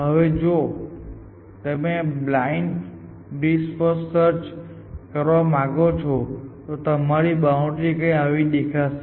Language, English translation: Gujarati, Now, if you want to do blind breadth first search your search boundary would look like this